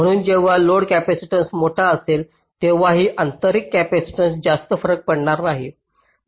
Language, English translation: Marathi, so when the load capacitance is large, so this intrinsic capacitance will not matter much